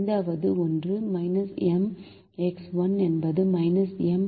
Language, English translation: Tamil, fifth one: minus m into one is minus m plus zero